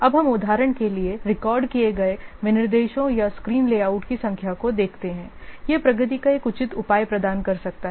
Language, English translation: Hindi, Now let's see, counting the number of records specifications or screen layouts produce, for example, it can provide a reasonable measure of the progress